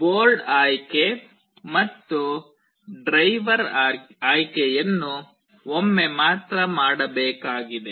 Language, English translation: Kannada, The board selection and the driver selection have to be done only once